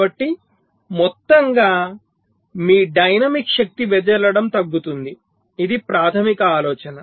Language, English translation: Telugu, so over all, your dynamic power dissipation will decrease